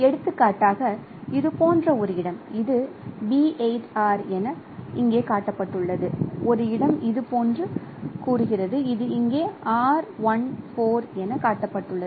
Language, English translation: Tamil, For example a location like this which is shown here as say B8 or a location say like this which is shown here as R14